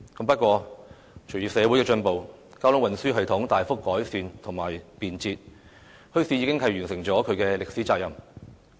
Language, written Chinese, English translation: Cantonese, 不過，隨着社會進步，交通運輸系統大幅改善和便捷，墟市已完成其歷史責任。, However as society advanced and with the traffic and transport systems being greatly improved and their accessibility enhanced bazaars have accomplished their historical task